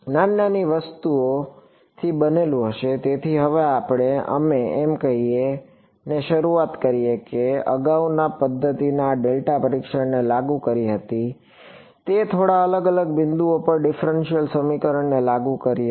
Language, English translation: Gujarati, Will be composed of little little such things ok; so now, we started we by saying that the earlier method was enforcing this delta testing it was enforcing the differential equation at a few discrete points